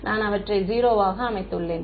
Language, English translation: Tamil, I have set them to 0